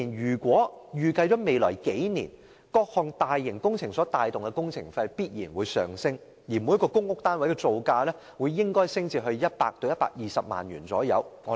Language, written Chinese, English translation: Cantonese, 政府預計在各項大型工程帶動下，未來數年的工程費必然會上升，每個公屋單位的造價應會上升至約100萬元至120萬元。, As projected by the Government construction cost will definitely rise in the next several years under the drive of various massive works projects and the construction cost of a public housing unit will rise to the range of around 1 million to 1.2 million